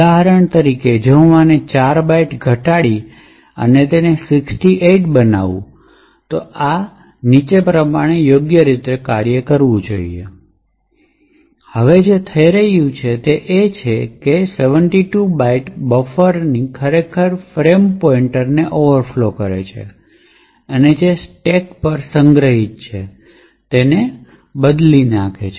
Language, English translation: Gujarati, So for example if I use reduced this by 4 bytes and make it 68, this should work properly as follows, now what is happening here is that at 72 bytes the buffer is actually overflowing and modifying the frame pointer which is stored onto the stack, this is the smallest length of the string which would modify the frame pointer